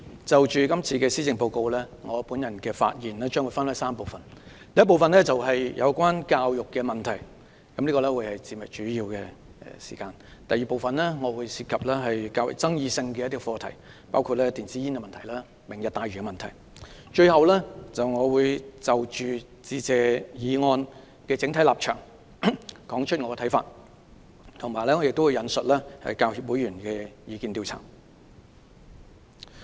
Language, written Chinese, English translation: Cantonese, 主席，就今年的施政報告，我的發言將分為3部分：第一部分是有關教育問題，這部分發言會佔用主要時間；第二部分涉及較具爭議性的課題，包括電子煙及"明日大嶼"問題；最後，我會就"致謝議案"的整體立場提出我的看法，並會引述香港教育專業人員協會會員的意見調查。, This will take up the bulk of my speaking time . Second is about more controversial issues including e - cigarettes and the Lantau Tomorrow Vision . Finally I will express my view on the overall position of the Motion of Thanks and quote a survey conducted by the Hong Kong Professional Teachers Union PTU among its members